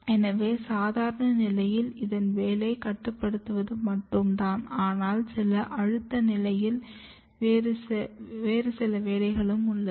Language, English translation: Tamil, So, under normal condition it is only regulating this, but in some stress condition it has more functions